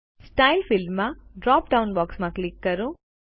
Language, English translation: Gujarati, In the Style field, click the drop down box